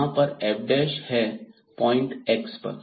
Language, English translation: Hindi, So, simply from here f prime is 2 x